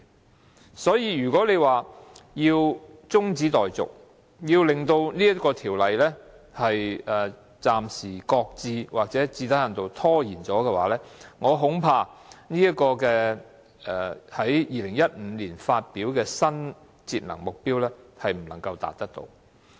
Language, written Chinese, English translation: Cantonese, 如果要將這項辯論中止待續，令第三階段強制性標籤計劃暫時擱置，或最低限度受到拖延，我恐怕政府在2015年發表的新節能目標便不能達到。, If we adjourn this debate to temporarily shelve or at least delay the introduction of the third phase of MEELS I am afraid we may not be able to achieve the new energy - saving target announced by the Government in 2015